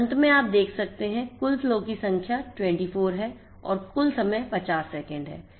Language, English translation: Hindi, So, we have generated the total number of flows which is 24, total time is 50 seconds